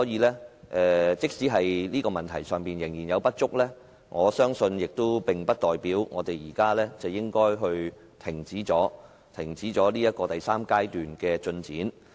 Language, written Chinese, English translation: Cantonese, 不過，即使在這方面仍有不足，我相信也並不代表我們現在便應停止第三階段的進展。, Even if there are inadequacies in this respect it does not mean that we should stop implementing the third phase